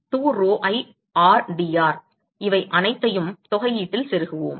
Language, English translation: Tamil, 2 pi rdr, we plug in all these in the integral